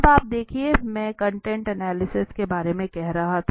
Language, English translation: Hindi, Now you see just I was saying about content analysis